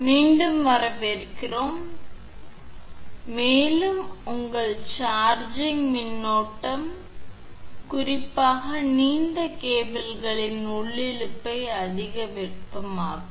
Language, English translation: Tamil, So, and more over your the charging current may cause overheating of intersheath especially in long cables right